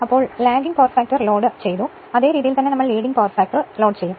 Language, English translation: Malayalam, So the way, we have done Lagging Power Factor Load, same way we will do it your Leading Power Factor